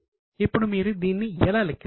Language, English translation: Telugu, Now how will you calculate this